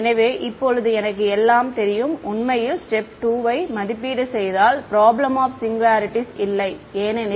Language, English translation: Tamil, So, now, I know everything and in fact, in evaluating step 2, there is there is no problem of singularities because